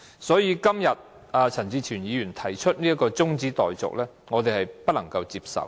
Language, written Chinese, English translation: Cantonese, 所以，陳志全議員今天提出這項中止待續議案，我們不能夠接受。, Therefore we cannot accept the adjournment motion moved by Mr CHAN Chi - chuen today